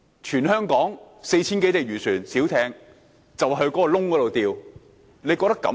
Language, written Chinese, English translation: Cantonese, 全香港 4,000 多艘漁船和小艇，現時便在那個洞中釣魚。, The 4 000 or so fishing vessels and small boats are now fishing in a hole like this